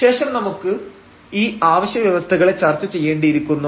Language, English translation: Malayalam, And again then we have to discuss these necessary conditions